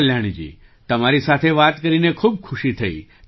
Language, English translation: Gujarati, Well Kalyani ji, it was a pleasure to talk to you